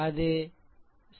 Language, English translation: Tamil, So, it will be 7